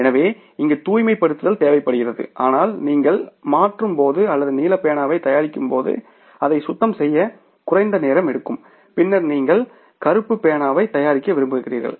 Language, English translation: Tamil, So that cleaning is required but that cleaning will take less time when you are converting or you are manufacturing the blue pen and then you want to manufacture the black pen